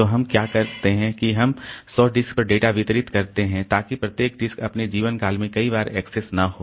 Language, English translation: Hindi, So, what we do is that we distribute the data across the 100 disk so that each disk is not accessed many times in its lifetime